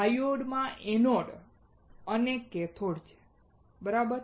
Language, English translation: Gujarati, Diode has anode and cathode, right